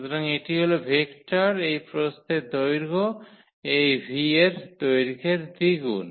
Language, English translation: Bengali, So, that is the vector this width length double of this length of this v